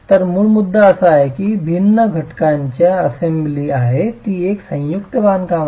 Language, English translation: Marathi, So the basic point is that it's an assembly of different constituents